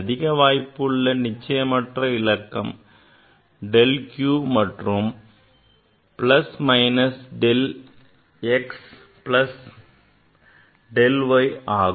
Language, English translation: Tamil, Most probable uncertainty del q will be plus minus del x plus del y